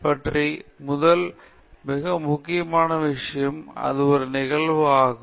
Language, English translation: Tamil, First and most important thing about it is that it is an event